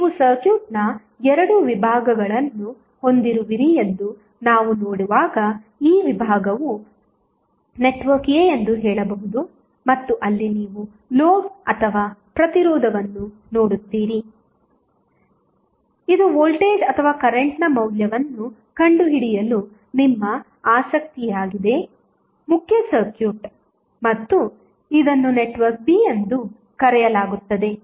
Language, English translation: Kannada, As we see you have 2 sections of the circuit you can say this section is network A and where you see the load or the resistance which, which is of your interest to find out the value of either voltage or current that would be separated from the main circuit and it is called as network B